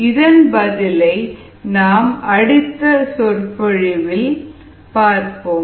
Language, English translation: Tamil, see the solution in the next lecture